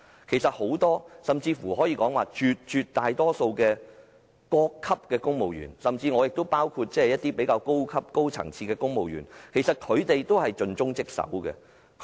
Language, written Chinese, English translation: Cantonese, 其實很多——甚至可說絕大多數的——各級公務員，包括較高級的公務員，都是盡忠職守的。, As a matter of fact a lot―or even the majority―of the civil servants in various ranks including the senior ones are dedicated to their duties